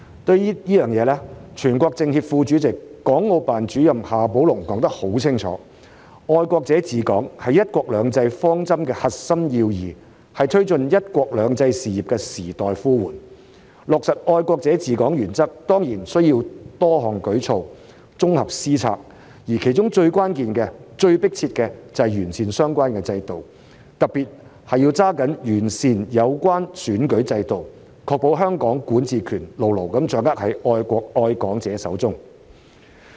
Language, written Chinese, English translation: Cantonese, 對此，全國政協副主席、港澳辦主任夏寶龍說得很清楚："愛國者治港"是"一國兩制"方針的核心要義，是推進"一國兩制"事業的時代呼喚，落實"愛國者治港"原則當然需要多項舉措、綜合施策，而其中最關鍵、最急迫的是要完善相關制度，特別是要抓緊完善有關選舉制度，確保香港管治權牢牢掌握在愛國愛港者手中。, In this connection the Vice - Chairman of the National Committee of the Chinese Peoples Political Consultative Conference CPPCC and the Director of the Hong Kong and Macao Affairs Office HKMAO of the State Council XIA Baolong has made it clear that Patriots administering Hong Kong is the core meaning of the principle of one country two systems and it is the call of the times to taking forward one country two systems . The implementation of the principle of patriots administering Hong Kong certainly requires various measures and comprehensive policies whereas the most crucial and pressing task is the improvement of the relevant system . It is particularly important to improve the relevant electoral system to ensure that the jurisdiction of Hong Kong is held firmly in the hands of individuals who love the country and love Hong Kong